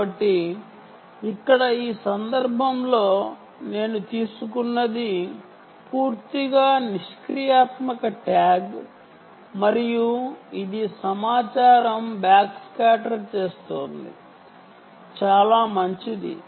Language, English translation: Telugu, so here, in this case, what i have taken is a completely passive tag and its doing a back scatter of the information